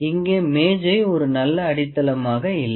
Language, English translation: Tamil, So, the table is not grounded very well